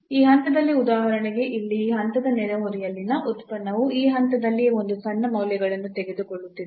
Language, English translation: Kannada, So, at this point for example, at this point here the function in the neighborhood of this point is taking a smaller values at that point itself